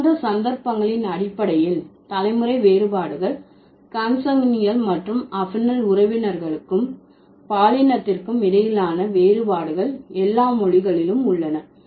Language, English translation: Tamil, In such cases, in case of the generational differences, the difference between consanguinal and affinal relatives and sex differences of the relatives are present in all languages